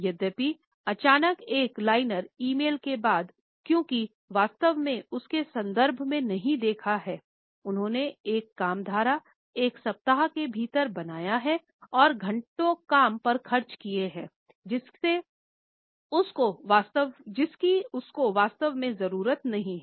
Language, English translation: Hindi, Although, sudden after that one liner email, because they had not really seen her context, they created a work stream within a week and spend hours working on something that she did not even really need